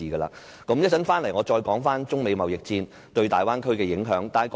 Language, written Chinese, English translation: Cantonese, 我稍後再返回討論中美貿易戰對大灣區的影響。, I will later come back to the impact of the Sino - American trade war on the Bay Area